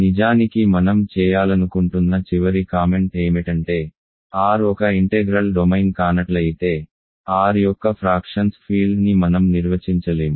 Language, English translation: Telugu, And actually one final comment I want to make is that if R is not an integral domain, we cannot define field of fractions of R right